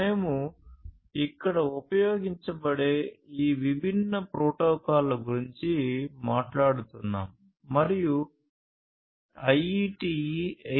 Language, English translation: Telugu, So, we are talking about these different protocols that will be used over here and IEEE 802